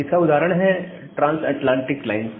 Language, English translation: Hindi, So, one example is this the transatlantic lines